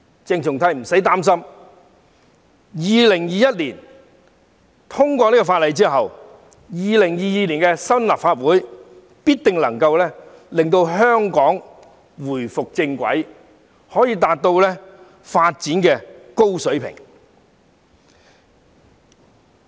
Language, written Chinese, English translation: Cantonese, 鄭松泰議員無須擔心，《條例草案》在2021年通過後 ，2022 年開始的新一屆立法會必定可以令香港回復正軌，達到高水平的發展。, Dr CHENG Chung - tai needs not worry for when the Bill is passed in 2021 the new term of the Legislative Council commencing in 2022 will surely put Hong Kong back on the right track to attain high levels of development